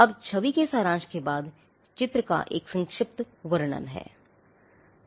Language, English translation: Hindi, Now, following the summary of the image, there is a brief description of the drawings